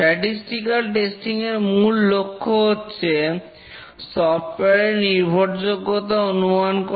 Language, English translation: Bengali, The objective of statistical testing is to estimate the reliability of the software